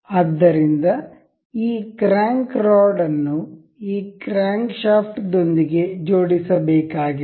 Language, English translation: Kannada, So, this this crank rod is supposed to be attached with this crankshaft